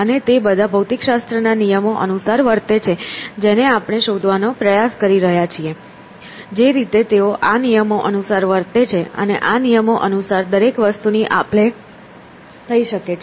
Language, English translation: Gujarati, And they all behave according to the laws of physics which we are trying to discover; by the way they behave according to these laws, and, therefore, everything can be exchanged according to these laws